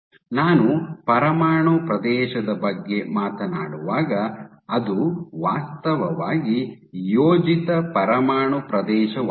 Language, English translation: Kannada, So, when I talk about nuclear area it is actually the projected nuclear area